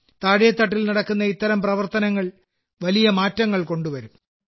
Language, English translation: Malayalam, Such efforts made at the grassroots level can bring huge changes